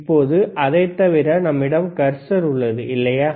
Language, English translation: Tamil, Now other than that, we have cursor, right